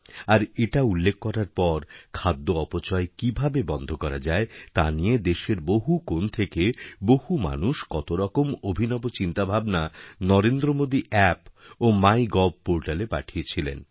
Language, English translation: Bengali, And upon my mention, there were mentions of many innovative ideas to save food from being wasted that are being put into practice employed in many corners of the country on NarendraModiApp and also on MyGov